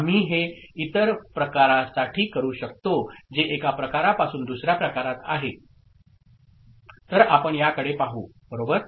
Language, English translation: Marathi, We can do it for any other type that is one type to another, so let us look at this one right